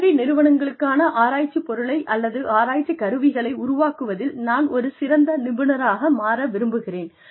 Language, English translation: Tamil, I would like to be an expert, in developing research material, or research tools, for academic institutions